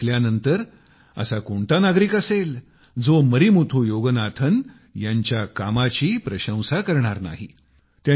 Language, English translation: Marathi, Now after listening to this story, who as a citizen will not appreciate the work of Marimuthu Yoganathan